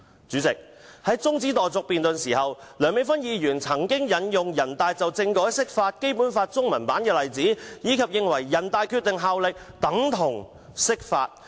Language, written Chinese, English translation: Cantonese, 主席，在辯論中止待續議案時，梁美芬議員曾引用人大常委會就政改釋法及《基本法》中文版的例子，並認為"《決定》的效力等同釋法"。, President during the debate on the adjournment motion Dr Priscilla LEUNG cited NPCSCs interpretation of the Basic Law regarding the constitutional reform and the Chinese version of the Basic Law as examples and held the view that the Decision carries the same effect as an interpretation of the Basic Law